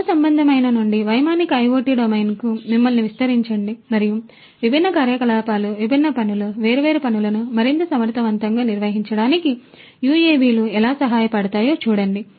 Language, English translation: Telugu, Extend you from terrestrial to the aerial IoT domain and see how UAVs can help accomplish different activities, different tasks, execute different tasks, in a much more efficient manner